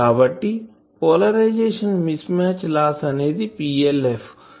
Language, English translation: Telugu, So, polarization mismatch loss this is PLF